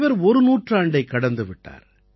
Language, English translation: Tamil, She has crossed a century